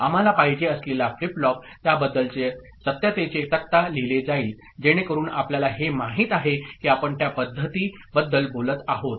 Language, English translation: Marathi, The flip flop that we want, truth table of that would be written, so that is this generalized you know, method we are talking about